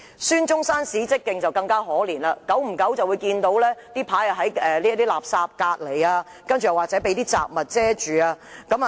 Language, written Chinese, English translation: Cantonese, 孫中山史蹟徑則更為可悲，偶然會看到紀念牌旁邊棄置垃圾，或紀念牌被雜物遮蓋。, The Dr SUN Yat - sen Historical Trail is even more deplorable . Occasionally rubbish was spotted beside or covering the monument